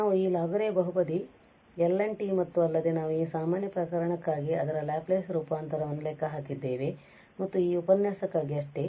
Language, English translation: Kannada, We have also discuss this Laguerre Polynomial and L n t so here also we have computed its Laplace transform for this general case and that is all for this lecture